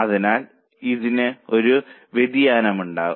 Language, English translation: Malayalam, So, it may have a variability